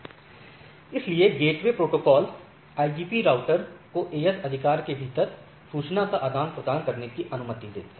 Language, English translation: Hindi, So, interior gateway protocol IGPs, interior gateway protocols allows routers to exchange information within the AS right